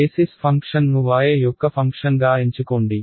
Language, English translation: Telugu, Let us not choose b choose basis function a as the function of y